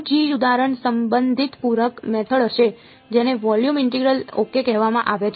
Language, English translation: Gujarati, The 2nd example is going to be related complementary method which is called volume integral ok